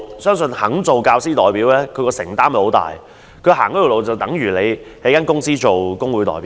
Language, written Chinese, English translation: Cantonese, 相信肯做教師代表的人，承擔很大，他所走的路相當於一間公司內的工會代表。, I believe that whoever willing to serve as a teacher representative has to make much commitment and he will tread the same path as that of a labour union representative in a company